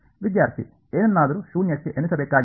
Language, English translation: Kannada, Has something has to counted at 0